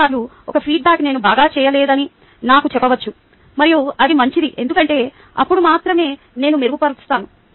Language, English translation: Telugu, very many times, a feedback may tell me that i am not doing well, and that is good, because only then i improve